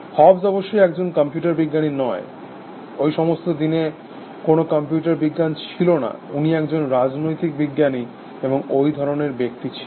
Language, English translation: Bengali, Hobbes of course, was not a computer scientist, in those days, there was no computer science, he was a political scientist, and this kind of stuff